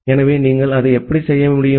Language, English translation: Tamil, So, how you can do that